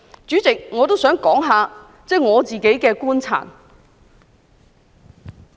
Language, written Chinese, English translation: Cantonese, 主席，我也想談談我的觀察。, President I also wish to talk about my observations